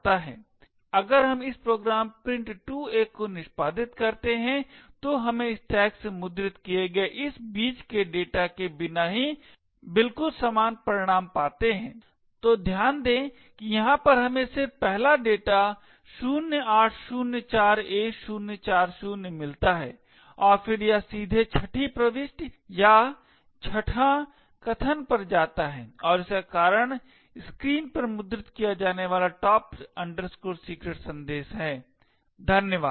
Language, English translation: Hindi, If we execute this program print2a we get exactly the same result without all of this intermediate data from the stack getting printed, so note that over here we just get the first data that is 0804a040 and then it jumps directly to the sixth entry or the sixth argument and causes this is a top secret message to be printed on the screen, thank you